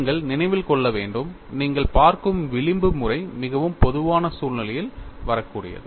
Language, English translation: Tamil, And, you have to keep in mind, the kind of fringe patterns that you come across in the most general situation